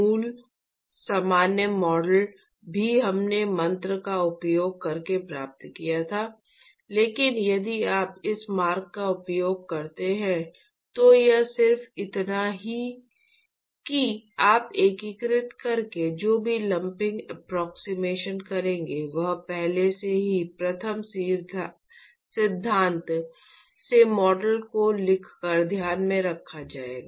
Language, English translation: Hindi, In fact, the original general model also we derived by using the mantra, but if you use this this route it is just that you will whatever lumping approximation you would actually do by integrating etcetera, would already be taken into account by writing the model from first principles